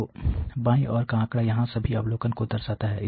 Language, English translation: Hindi, So, figure on the left shows all the observations here